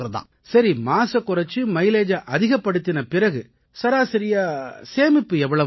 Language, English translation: Tamil, Ok, so if we reduce pollution and increase mileage, how much is the average money that can be saved